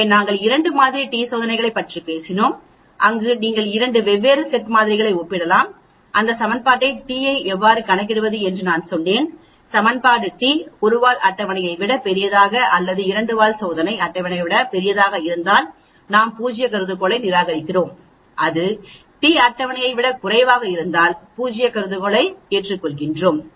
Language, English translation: Tamil, So, we talked about 2 sample t tests where you can compare 2 different sets of samples and I told you how to calculate the t using this equation and you say whether the equation t is greater than the t the table for a one tail or a two tail test, if it is a greater than the table we reject the null hypothesis, if it is less than the t table we accept the null hypothesis